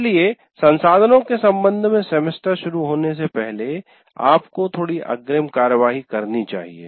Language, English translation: Hindi, So you have to take a little advance action before the semester starts with regard to the resources